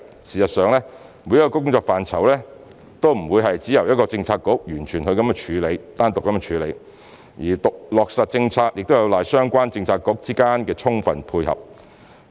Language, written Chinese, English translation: Cantonese, 事實上，每一個工作範疇都不會完全只由一個政策局單獨處理，落實政策亦有賴相關政策局之間的充分配合。, In fact each work portfolio is not entirely handled by one bureau alone as policy implementation relies on the full cooperation among relevant bureaux